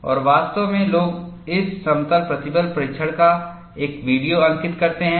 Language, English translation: Hindi, And, in fact, people make a video record of this plane stress testing